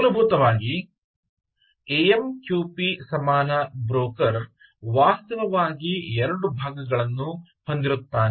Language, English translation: Kannada, essentially, a amqp equalent broker, amqp equalent broker will actually have two parts